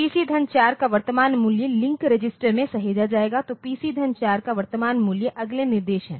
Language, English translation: Hindi, Current value of PC plus 4 will be saved in the link register so, current value of PC plus 4 that is that in the next instruction